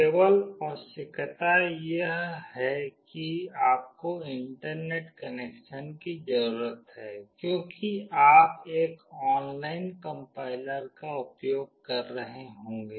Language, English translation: Hindi, The only requirement is that you need to have internet connection because you will be using an online compiler